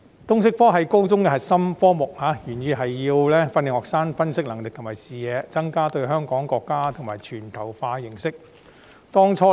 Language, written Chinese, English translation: Cantonese, 通識科是高中的核心科目，原意是要訓練學生的分析能力和視野，增加對香港、國家及全球的認識。, The LS subject is one of the core senior secondary subjects and the original intent is to develop students analytical skills and vision as well as enhance their understanding of Hong Kong the country and the world